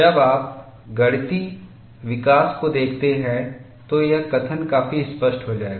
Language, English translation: Hindi, When you look at the mathematical development, this statement would become quite clear